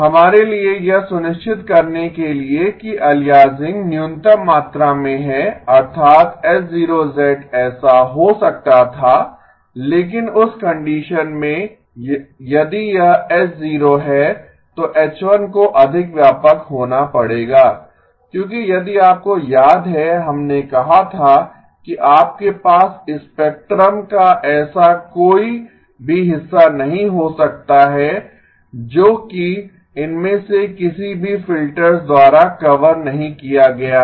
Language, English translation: Hindi, In order for us to have minimum amount of aliasing that means the H0 of z, H0 of z could have been like this but in that case if this is H0 then H1 would have to be much wider because if you remember we said that you cannot have any portion of the spectrum that is not covered by either of the filters